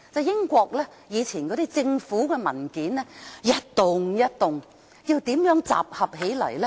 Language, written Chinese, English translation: Cantonese, 英國政府以往的文件是一疊疊的，要怎樣集合起來呢？, In the past the documents of the British Government were laid in piles . How were they put together?